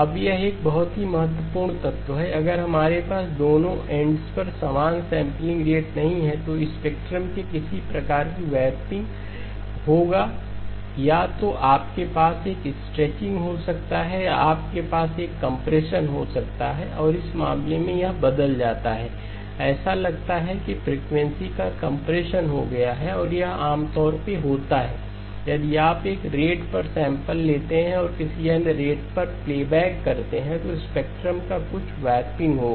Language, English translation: Hindi, Now this is a very important element, if we do not have the same sampling rate at both ends, there will be some kind of a warping of the spectrum either you can have a stretching or you can have a compression and in this case it turns out to be that the frequencies looks like it got compressed and this is typically what happens if you sample at one rate and playback at another rate there will be some warping of the spectrum